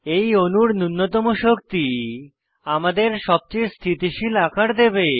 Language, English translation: Bengali, Energy minimization on this molecule will give us the most stable conformation